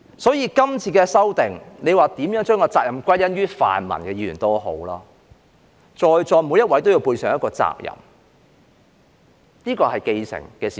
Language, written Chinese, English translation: Cantonese, 所以，這次的修訂，無論大家如何把責任歸因於泛民議員也好，在座每位也要背上一個責任，這是既成的事實。, Hence in this amendment exercise no matter how Members put the blame on pan - democratic Members everyone in this Chamber has to share the responsibility . This is a fait accompli